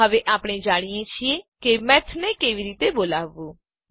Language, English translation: Gujarati, Now, we know how to call Math